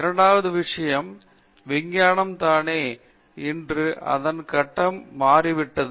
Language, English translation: Tamil, Second thing is science itself, today has changed its phase